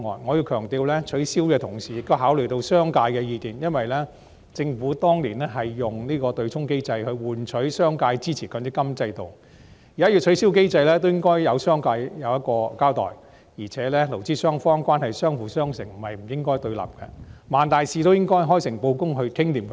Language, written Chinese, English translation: Cantonese, 我要強調，取消對沖機制的同時，也要考慮商界的意見，因為政府當年是以對沖機制來換取商界支持強積金制度，現在要取消對沖機制，也應該對商界有所交代，而且勞資雙方關係是相輔相成，不應該對立，萬大事也應該開誠布公地商討妥當。, I wish to emphasize that in abolishing the offsetting mechanism it is also necessary to consider the views of the business sector because back then the Government had traded such a mechanism for the support of the business sector for the MPF System . Now that the offsetting mechanism is to be abolished it should give an account to the business sector . Moreover in the employer - employee relationship the two parties should complement each other